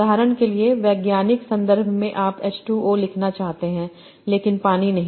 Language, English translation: Hindi, For example in scientific context you might want to write H2O but not water